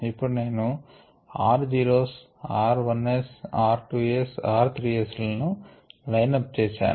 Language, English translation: Telugu, i just lined up r zeros, r ones, t twos, r threes and so on